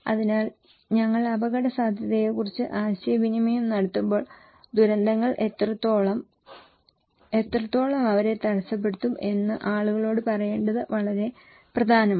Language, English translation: Malayalam, So, when we are communicating risk, it is very important to tell people what extent, how extent they will be hampered by disasters okay